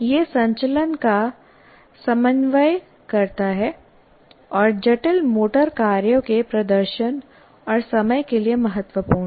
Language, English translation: Hindi, It coordinates movement and is important to performance and timing of complex motor tasks